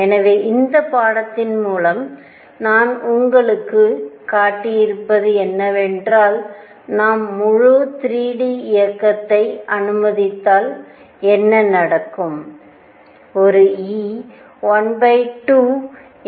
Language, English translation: Tamil, So, what I have shown through you through this lecture in this is that if we allow full 3 d motion, what happens